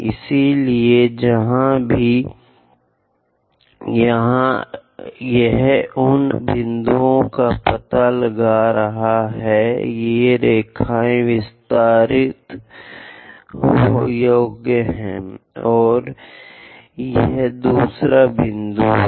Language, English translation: Hindi, So, wherever it is intersecting locate those points, these line also extendable, and this is other point